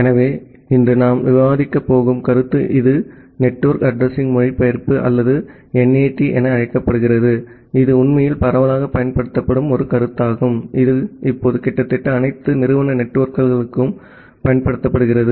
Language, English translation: Tamil, So, the concept that we are going to discuss today it is called Network Address Translation or NAT which is actually a widely used concept which is used now a days for almost all the institute network